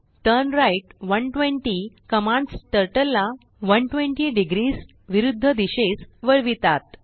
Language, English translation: Marathi, turnright 120 commands Turtle to turn, 120 degrees anti clockwise